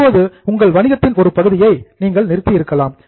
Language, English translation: Tamil, Now, some part of the business, you might have stopped that business